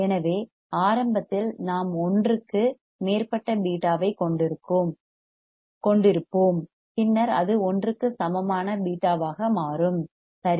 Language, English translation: Tamil, So, initially we will have a beta greater than one and then it becomes a beta equal to 1, right